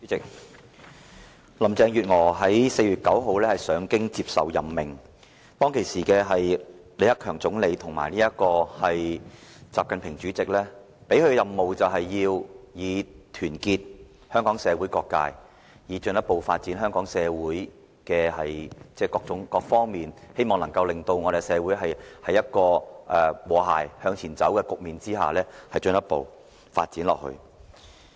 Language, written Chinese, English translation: Cantonese, 主席，林鄭月娥在4月9日上京接受任命，當時李克強總理及習近平主席給她的任務，就是要團結香港社會各界，讓香港社會各個方面都有進一步的發展，冀能營造社會和諧向前邁進的局面，長遠地發展下去。, President when Carrie LAM accepted her appointment in Beijing on 9 April Premier LI Keqiang and President XI Jinping have made it her mission to unite all people in Hong Kong so that further development can be seen in various aspects of the Hong Kong society and a harmonious atmosphere will be created for our society to move forward and develop on a long term basis